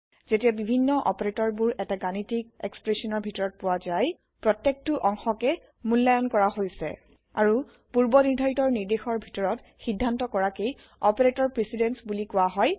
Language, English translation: Assamese, When several operations occur in a mathematical expression, each part is evaluated and resolved in a predetermined order called operator precedence